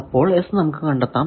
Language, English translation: Malayalam, So, now we can determine S 12